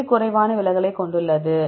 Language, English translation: Tamil, Which one has less deviation